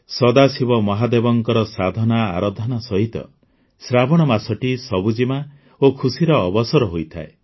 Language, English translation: Odia, Along with worshiping Sadashiv Mahadev, 'Sawan' is associated with greenery and joy